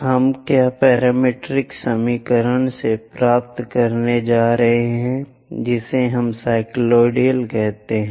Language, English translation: Hindi, We are going to get from this parametric equations, that is what we call cycloids